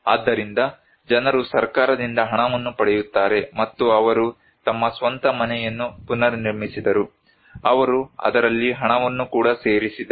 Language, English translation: Kannada, So, people receive money from the government and they reconstructed their own house, they also added money into it